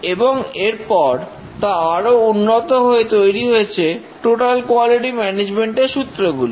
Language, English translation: Bengali, And even that further evolved into the total quality management principles